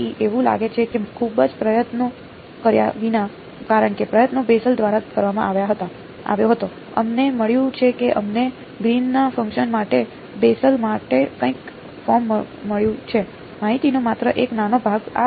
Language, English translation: Gujarati, So, it seems that without too much effort because, the effort was done by Bessel, we have got r we have got some form for the Bessel’s for the Green’s function, just one small piece of information